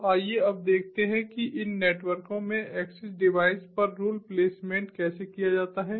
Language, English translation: Hindi, so let us now look at how rule placement is made at the access devices in these networks